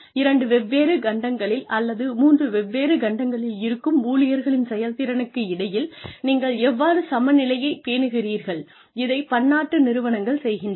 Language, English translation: Tamil, How do you maintain parity between the performance of employees, who are sitting on two different continents, or three different continents, multinational companies are doing